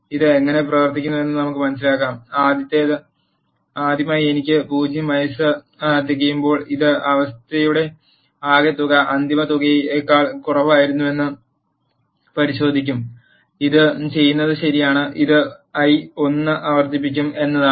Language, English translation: Malayalam, Let us understand how does it works; for the first time i is 0 it will check the condition sum is less than final sum, the condition is true what it does is it will increment the i by 1